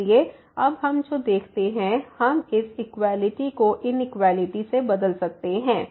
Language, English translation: Hindi, So, what we see now we can replace this equality by the inequality